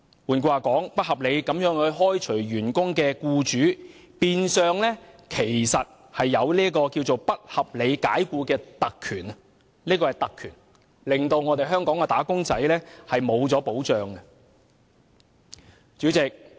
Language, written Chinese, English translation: Cantonese, 換言之，不合理地開除員工的僱主，變相擁有不合理解僱的特權，令"打工仔"失去保障。, In other words employers who have unreasonably dismissed their employees are in effect entitled to the privilege of unreasonable dismissal leaving wage earners unprotected